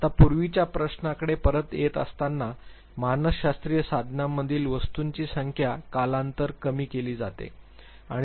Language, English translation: Marathi, Now coming back to the earlier question, why is it that number of items in psychometric tools reduced to over a period of time